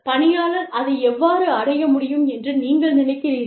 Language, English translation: Tamil, How do you think, the employee can achieve it